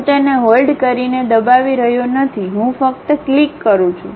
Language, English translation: Gujarati, I am not pressing holding it, I just click